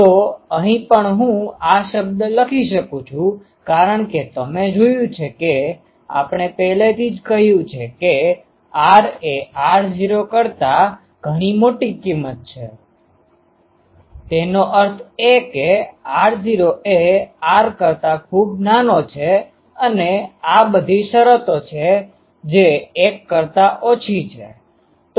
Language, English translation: Gujarati, So, here also can I write that this term because r naught you see already we have said that r is much larger than r naught; that means, r naught is much smaller than r and these are all terms which are less than 1